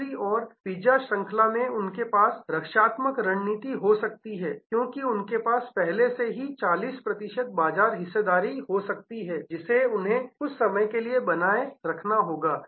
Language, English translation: Hindi, On the other hand in the pizza chain they may have to hold they have defensive position, because they may already have a 40 percent market share, which they have to protect plus some times